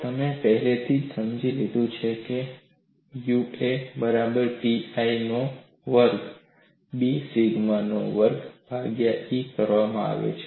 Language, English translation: Gujarati, You have already got that as U a equal to pi a squared B sigma squared divided by E